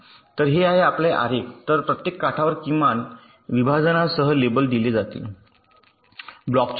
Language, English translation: Marathi, so each of the edges will be labeled with the minimum separation between the corresponding pair of blocks